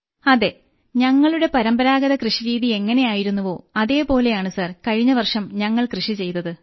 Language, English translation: Malayalam, Yes, which is our traditional farming Sir; we did it last year